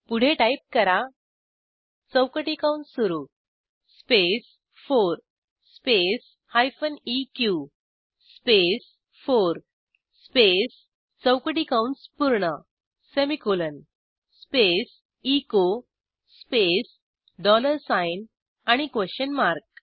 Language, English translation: Marathi, Type: test space 4 space hyphen eq space 4 semicolon space echo space dollar sign and a question mark